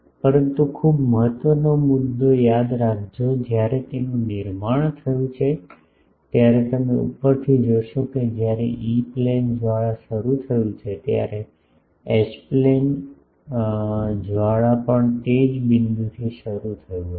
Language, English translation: Gujarati, But remember the very important point, that when it was constructed you see from the top that from the same point when the E Plane flaring started, the H plane flaring also started from the same point